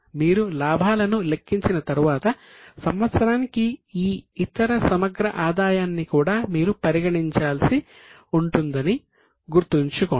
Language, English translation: Telugu, Keep in mind that after you calculate the profits you will also have to consider this other comprehensive income for the year